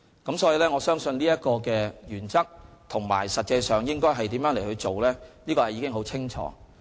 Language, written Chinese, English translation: Cantonese, 因此，我相信，有關原則和實際上應如何處事是十分清楚的。, Therefore in my opinion these principles and how things should be handled in actual practice are all very clear